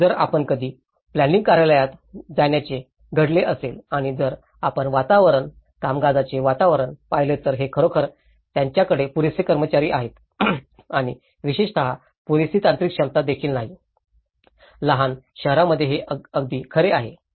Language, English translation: Marathi, If you ever happened to go a planning office and if you look at the atmosphere, the working atmosphere, it’s really they have a very less adequate staff and also not having an adequate technical capacity especially, this is very true in the smaller towns